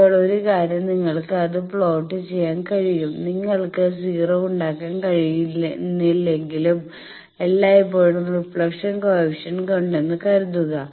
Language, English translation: Malayalam, Now, 1 thing is you can plot that, suppose always the reflection coefficient even if you cannot make 0 you can make that